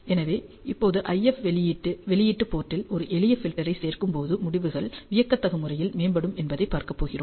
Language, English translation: Tamil, So, now, we are going to see that how a simple filter addition in the IF output port can dramatically improve the results